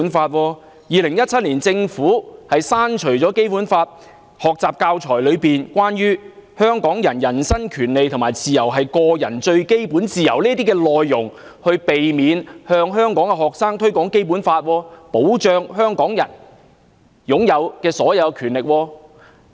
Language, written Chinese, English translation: Cantonese, 政府在2017年刪除了《基本法》學習教材內有關香港人"人身權利和自由是個人最基本自由"等內容，從而避免向香港學生推廣《基本法》保障香港人享有的各項權利。, In 2017 the Government deleted certain content in the teaching material on the Basic Law such as the rights and freedom of the person being the fundamental freedom of an individual so as to avoid promoting the rights of Hong Kong people that are protected under the Basic Law to Hong Kong students